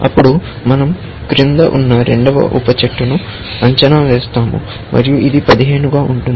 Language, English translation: Telugu, Let us say then, we evaluate the second sub tree below that, and this happens to be 15